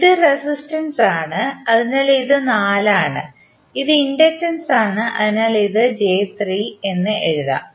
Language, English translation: Malayalam, This is resistance, so this is 4, this is inductance so you can just simply write j3